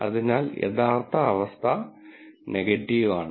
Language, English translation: Malayalam, So, the true condition is actually negative